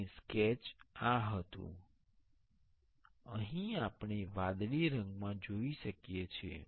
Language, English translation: Gujarati, And the sketch was this here we can see in blue color